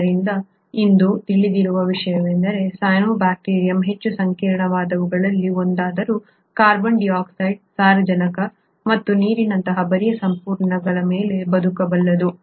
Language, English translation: Kannada, So in what is now known today is that the cyanobacterium although one of the more complex ones, can survive on very bare resources like carbon dioxide, nitrogen and water